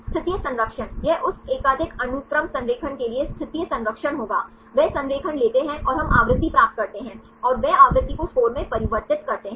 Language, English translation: Hindi, Positional conservation, it will be the positional conservation for that multiple sequence alignment, they take the alignments and we get the frequency and they convert to the frequency into score